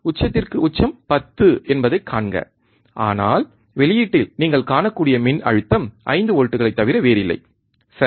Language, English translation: Tamil, See peak to peak is 10, but the voltage that you can see at the output is nothing but 5 volts, alright